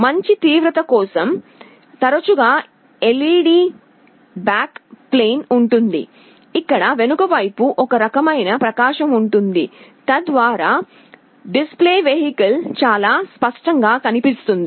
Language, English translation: Telugu, Also for good intensity there is often a LED backplane, where there is a some kind of illumination in the back side so that the display vehicle becomes very clear